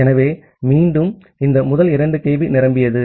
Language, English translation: Tamil, So, again this first 2 kB becomes full